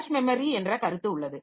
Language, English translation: Tamil, Then we have got the concept of cache memory